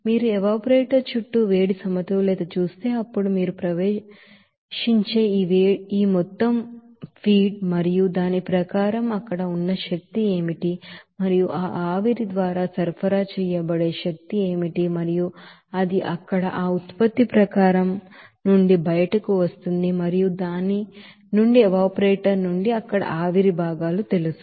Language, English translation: Telugu, Similarly, if you do the heat balance around the evaporator, then you can say that this amount of feed that is entering and according to that what will be the energy which is there and what will be the energy supplied by that steam and that will be is equal to what is that it is that is coming out from that product stream there and also from that you know vapor components there from the evaporator